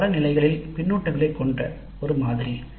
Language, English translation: Tamil, It is a model with feedbacks at multiple levels